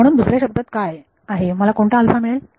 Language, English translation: Marathi, So, in other words what is what alpha do I get